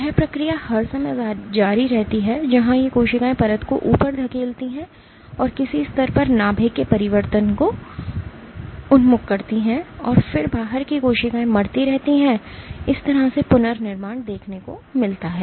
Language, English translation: Hindi, This process continues all the time, where these cells divide push the layer up and at some level the orientation of the nuclei change and then the outside the cells keep dying and this is how we have regeneration